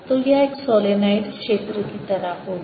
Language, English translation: Hindi, so this becomes like a solenoid